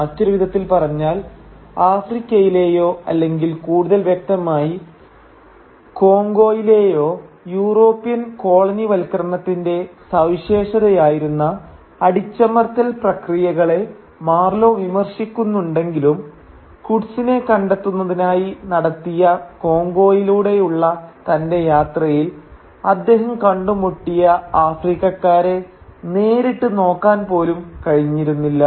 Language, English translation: Malayalam, In other words, though Marlow criticises the oppressive practices that characterised European colonialism in Africa or in Congo more specifically, he is never really able to sort of look at the Africans that he encounters in his journey across Congo to meet Kurtz